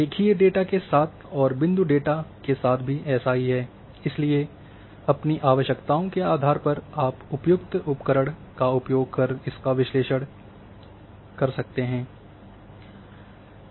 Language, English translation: Hindi, Same with the line data and same with the point data, so depending on your requirements you will use the appropriate tool and perform the analysis